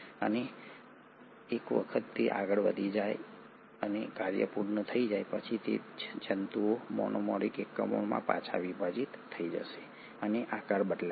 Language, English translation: Gujarati, And once it has moved forward and the work is done, the same filaments will disassemble back to the monomeric units and the shape will change